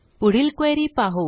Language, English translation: Marathi, Now, onto our next query